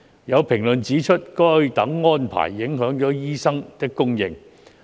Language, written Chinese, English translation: Cantonese, 有評論指出，該等安排影響了醫生的供應。, There are comments that such arrangements have impacted on the supply of medical practitioners